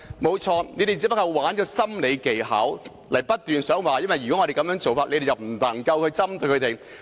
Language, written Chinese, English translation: Cantonese, 對，他們只是玩弄心理技巧，不斷說如果我們這樣做，他們便無法針對這些人士。, Right they would just play tricks with psychological skills and keep saying that if we do this they will be unable to target these people